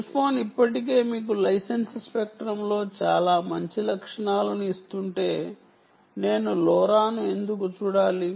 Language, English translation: Telugu, but if cell phone is already giving you, in license spectrum, many good features, why should i look at lora